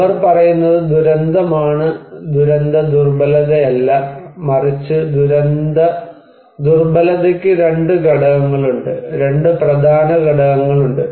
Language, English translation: Malayalam, They are saying disaster, not disaster vulnerability only but, vulnerability is there is a two components, two important components are there